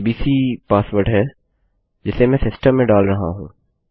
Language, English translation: Hindi, abc is the password Im inputting to the system